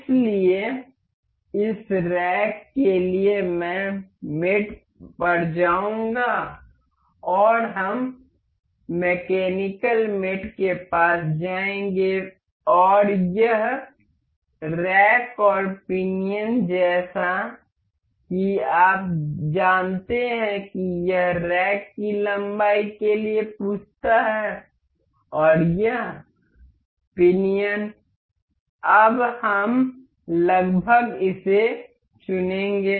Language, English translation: Hindi, So, for this rack I will go to mate and we will go to mechanical mates, and this rack and pinion as you know this asks for this rack edge length and this pinion will select for now we will select this approximately